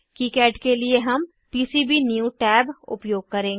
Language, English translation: Hindi, For kicad we will use Pcbnew tab